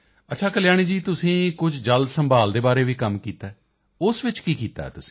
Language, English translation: Punjabi, Okay Kalyani ji, have you also done some work in water conservation